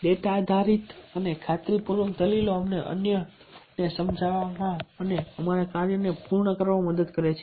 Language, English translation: Gujarati, data based and convincing argument help us to convince others and to get our work done